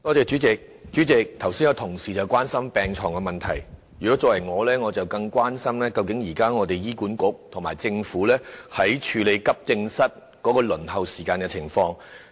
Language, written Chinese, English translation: Cantonese, 主席，同事剛才關心到病床的問題，我則更加關心醫管局和政府現時在處理急症室輪候時間的情況。, President colleagues have expressed concern about beds just now yet I am concerned about the way the Government and HA address the issue of waiting time at AE departments at present